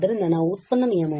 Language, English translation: Kannada, So, we can use the product rule